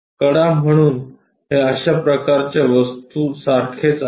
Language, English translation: Marathi, The edge, so it is more like such kind of object